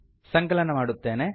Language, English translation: Kannada, Ill compile it